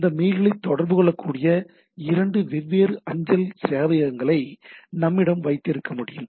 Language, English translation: Tamil, We can have 2 different mail servers things which can communicate these mails